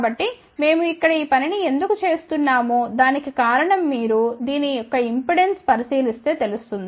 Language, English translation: Telugu, So, why we do this thing here the reason for that is that if you look at the impedance of this